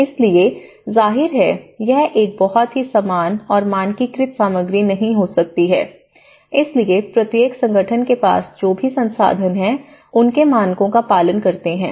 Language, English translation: Hindi, So, obviously, it cannot be a very uniform and standardized material, so each organization whatever the resources they have and whatever the standards they have followed